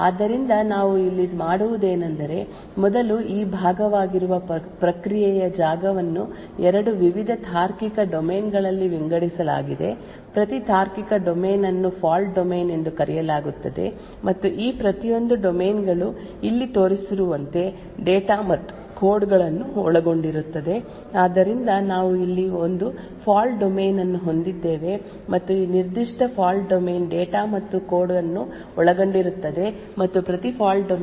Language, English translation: Kannada, So what we do here is the following first the process space that is this part is partitioned in two various logical domains, each logical domain is known as a Fault Domain and each of these domains comprises of data and code as shown over here, so we have one fault domain over here and this particular fault domain comprises of data and code further each fault domain is given a unique ID